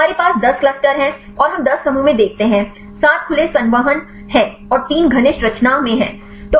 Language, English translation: Hindi, We have 10 clusters and we look at the 10 clusters; 7 are open conformation and the 3 are in the close conformation